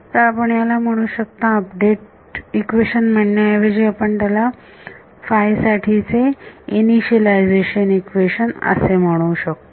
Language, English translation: Marathi, So, you can call this the, instead of update we can call this the initialization equation for psi and then this becomes the update equation for psi ok